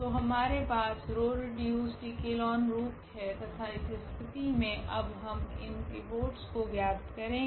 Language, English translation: Hindi, So, what we will have that this is the row reduced echelon form and in this case now, we will find out these pivots here